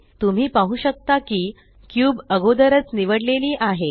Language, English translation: Marathi, As you can see, the cube is already selected